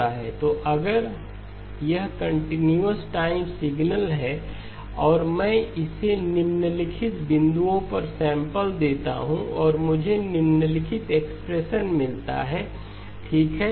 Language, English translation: Hindi, So if this is the continuous time signal and I sample it at the following points and I get the following expression okay